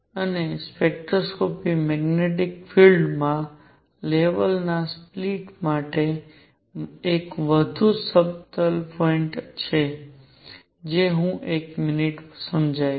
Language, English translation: Gujarati, And the spectroscopy there is one more subtle point for the splitting of levels in magnetic field which I will explain in a minute